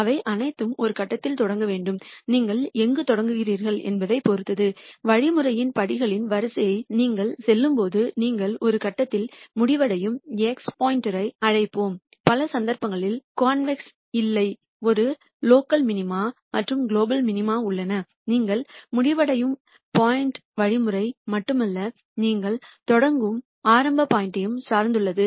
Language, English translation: Tamil, All of them have to start at some point and depending on where you start, when you go through the sequence of steps in the algorithm you will end up at some point let us call x star, and in many cases if the problem is non convex that is there are multiple local minima and global minima the point that you will end up is de pendent on not only the algorithm, but also the initial point that you start with